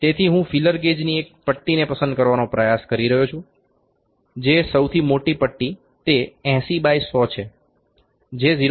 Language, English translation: Gujarati, So, I am trying to pick one leaf of the feeler gauge here the largest week leaf that is 80 by 100 that is 0